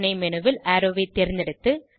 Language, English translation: Tamil, In the submenu, select Arrow